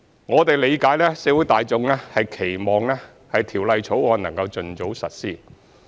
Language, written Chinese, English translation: Cantonese, 我們理解社會大眾期望《條例草案》能夠盡早實施。, We understand that the public expects the Bill to be implemented as soon as possible